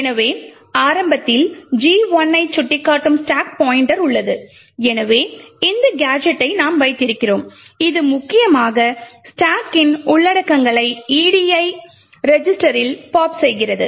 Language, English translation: Tamil, So we have the stack pointer pointing to gadget 1 initially and therefore we have this gadget which we have used which essentially pops the contents of the stack into the edi register